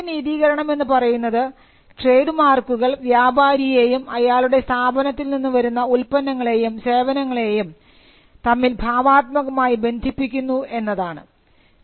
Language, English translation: Malayalam, So, the first justification is that, trademarks create creative association between the manufacturer of the product or services and with the goods that come out of the enterprise